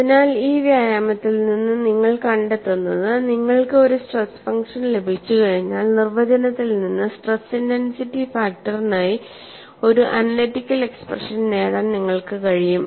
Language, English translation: Malayalam, So, what you find from this exercise is, once you have a stress function from the definition it is possible for you to get an analytical expression for stress intensity factor; it is a fairly straight forward exercise